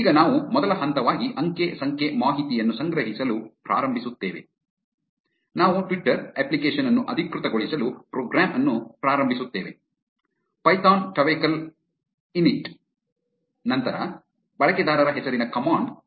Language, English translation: Kannada, Now, we will start collecting data as first step we will initialize the program to authorize a twitter app, run the command python twecoll init, followed by the user name